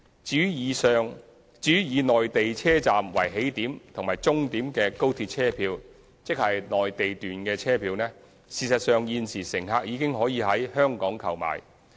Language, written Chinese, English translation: Cantonese, 至於以內地車站為起點和終點的高鐵車票，即內地段車票，事實上現時乘客已經可以在香港購買。, Mainland journey tickets ie . tickets for journeys that start and terminate at Mainland stations are in fact already available for purchase in Hong Kong